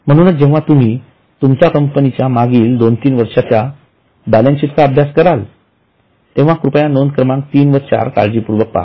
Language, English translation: Marathi, Now, when you study your company's balance sheet for last two, three years, please try to look at item three and four carefully